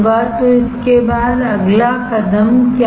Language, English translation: Hindi, So, after this what is the next step